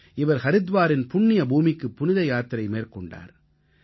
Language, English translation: Tamil, He also travelled to the holy land of Haridwar